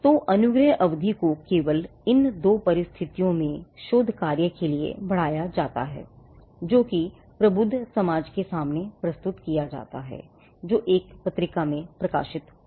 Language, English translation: Hindi, So, the grace period can be extended in only these two circumstances for research work that is presented before the learned society or that is published in a journal